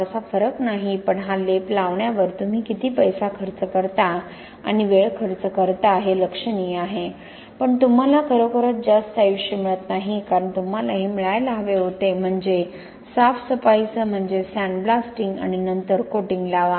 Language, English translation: Marathi, 5 not much difference but the amount of money you spend and time is spend on putting this coating is significant but you do not really get much higher life because you are actually supposed to get this that means with cleaning I mean sandblasting and then apply the coating